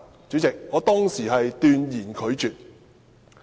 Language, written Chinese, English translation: Cantonese, 主席，我當時斷然拒絕。, President I categorically said no at that time